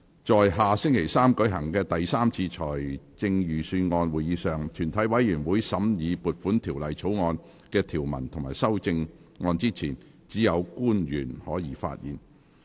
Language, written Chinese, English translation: Cantonese, 在下星期三舉行的第三次財政預算案會議上，全體委員會審議撥款條例草案的條文及修正案之前，只有官員可以發言。, At the third Budget meeting to be held next Wednesday only public officers may speak before consideration of the provisions of and amendments to the Appropriation Bill by committee of the whole Council